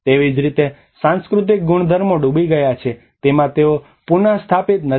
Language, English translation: Gujarati, Similarly, in the cultural properties which has been submerged they are not restored